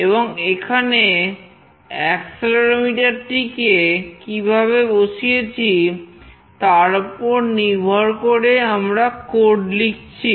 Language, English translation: Bengali, And depending on how we have put the accelerometer here, we have written the code accordingly